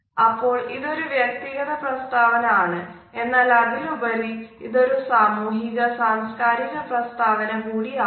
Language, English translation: Malayalam, So, it is a personal statement, but more so, it is also a social and professional statement